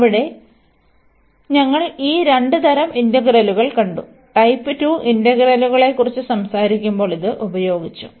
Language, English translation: Malayalam, And there we have seen these two types of integrals; this was used when we were talking about type 2 integrals